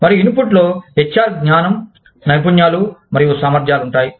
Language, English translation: Telugu, And, the input involves, the HR knowledge, skills, and abilities